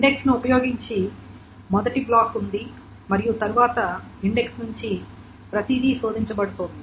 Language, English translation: Telugu, So the first locating block using the index is located and then everything from the index is being searched